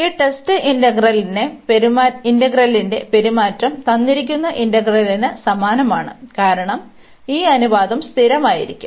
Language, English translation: Malayalam, And behavior of this test integral, and the given integral is the same, because this ratio is coming to be constant